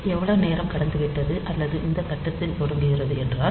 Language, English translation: Tamil, So, how much time has passed, or if it is starting at this point